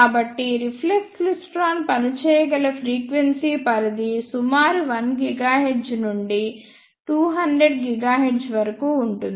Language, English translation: Telugu, So, the frequency range over which reflex klystron can work is roughly from 1 gigahertz to 200 gigahertz